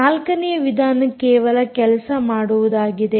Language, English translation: Kannada, fourth way is called just works